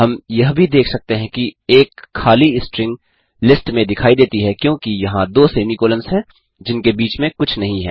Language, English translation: Hindi, We can also observe that an empty string appears in the list since there are two semi colons without anything in between